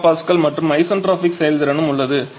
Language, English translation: Tamil, 2 mega Pascal and there is isentropic efficiency as well